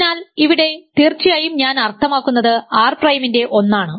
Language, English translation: Malayalam, So, here of course, I mean 1 of R prime and here I mean 1 of R